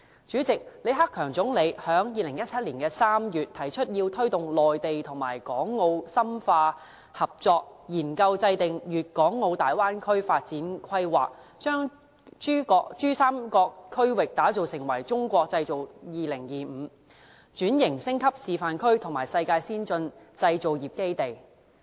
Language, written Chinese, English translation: Cantonese, 主席，李克強總理在2017年3月提出要推動內地與港澳深化合作，研究制訂粵港澳大灣區發展規劃，把珠三角區域打造成為《中國製造2025》轉型升級示範區和世界先進製造業基地。, President in March 2017 Premier LI Keqiang expressed the need to promote closer cooperation between the Mainland and Hong Kong and Macao; draw up a development plan for the Guangdong - Hong Kong - Macao Bay Area; and develop the Pearl River Delta Region as a model of industrial restructuring and upgrading under the Made in China 2025 initiatives and a world - class industrial base for advanced manufacturing industries